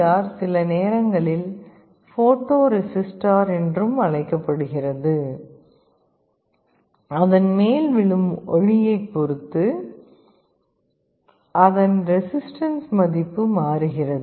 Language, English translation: Tamil, This LDR is sometimes also called a photo resistor; it is a resistance whose value changes depending on the light incident on it